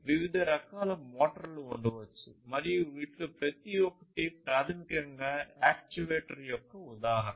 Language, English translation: Telugu, There could be different, different types of motors, and each of these is basically an actuator, examples of actuators